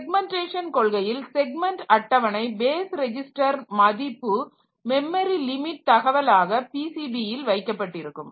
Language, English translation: Tamil, So, basically as I like this segmentation policy so we have seen that the segment table base register value so it is kept as part of memory limits information in the PCB